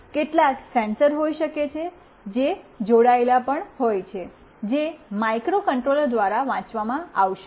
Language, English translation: Gujarati, There might be some sensors that are also attached, which will be read by the microcontroller